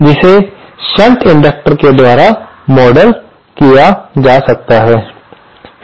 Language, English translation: Hindi, That can be modelled by this shunt inductor